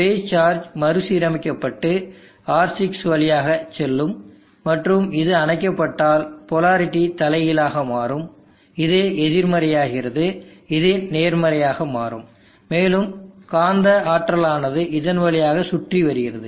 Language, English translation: Tamil, The base charges will recombine in this pass through R6 and if the turns off, there will be reversal of the polarity, this becomes negative, this becomes positive, and magnetic energy will free wheel through this